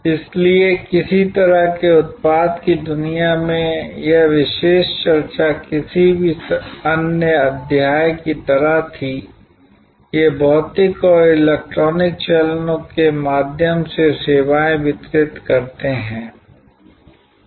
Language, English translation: Hindi, So, in some way just like in the product world, this particular discussion was like any other chapter, these distributing services through physical and electronic channels